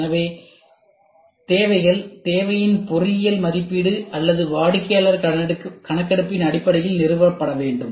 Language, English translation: Tamil, So, these needs should be established based on either engineering assessment of the need or customer survey